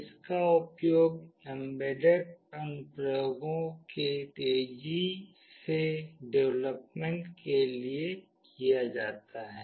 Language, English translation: Hindi, It is used for fast development of embedded applications